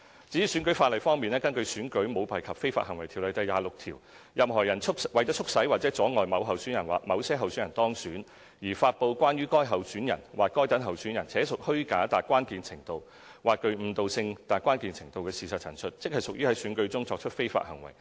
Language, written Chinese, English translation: Cantonese, 至於選舉法例方面，根據《選舉條例》第26條，任何人為促使或阻礙某候選人或某些候選人當選，而發布關於該候選人或該等候選人且屬虛假達關鍵程度或具誤導性達關鍵程度的事實陳述，即屬在選舉中作出非法行為。, Regarding the electoral legislation under section 26 of the Elections Ordinance Cap . 554 a person engages in illegal conduct at an election if heshe publishes a materially false or misleading statement of fact about a particular candidate or particular candidates for the purpose of promoting or prejudicing the election of the candidate or candidates